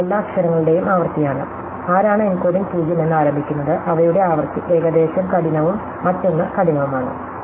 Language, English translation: Malayalam, That is a frequencies of all the letters, who's encoding start with 0, their frequencies added to roughly half and the other one also to half